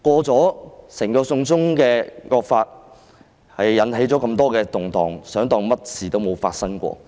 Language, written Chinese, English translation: Cantonese, 整項"送中惡法"引起了那麼多動盪，還想假裝甚麼事也沒有發生過？, The whole piece of draconian China extradition law has given rise to such great disturbances so do they want to pretend that nothing whatsoever has happened?